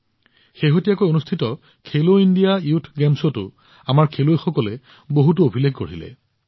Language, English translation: Assamese, In the recently held Khelo India Youth Games too, our players set many records